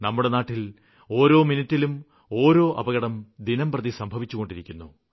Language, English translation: Malayalam, We are witnessing an accident every minute in our country